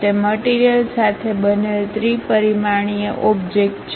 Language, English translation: Gujarati, It is a three dimensional object made with material